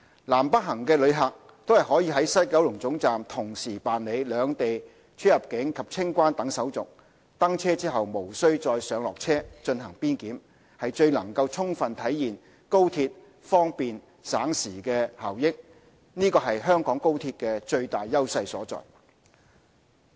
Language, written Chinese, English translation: Cantonese, 南北行的旅客均可於西九龍總站同時辦理兩地出入境及清關等手續，登車後無須再上落車進行邊檢，能充分體現高鐵方便省時的效益，是香港高鐵最大優勢所在。, Passengers going in either direction can go through CIQ procedures of Hong Kong and the Mainland at WKT and do not have to get off the train midway to go through boundary control thereby fully realizing the convenience and time - saving benefit of travelling by the XRL